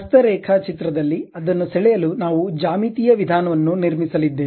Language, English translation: Kannada, At manual drawing, we are going to construct a geometric procedure to draw that